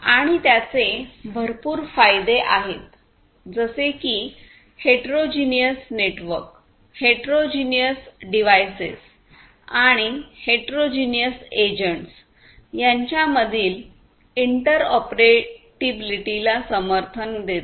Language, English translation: Marathi, And, it has manifold advantages such as it supports interoperability between heterogeneous networks, heterogeneous devices, heterogeneous agents, and so on